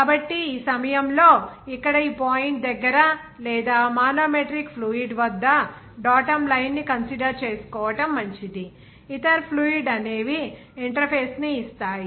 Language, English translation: Telugu, So, it will be better to consider the datum line here at this point or manometric fluid and other fluid give that interface